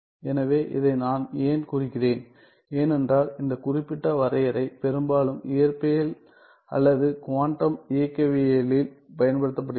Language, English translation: Tamil, So, why I am denoting this is, because this particular definition is used often in physics or quantum mechanics